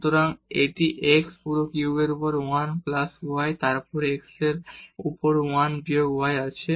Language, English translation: Bengali, So, it is 1 plus y over x whole cube and then we have 1 minus y over x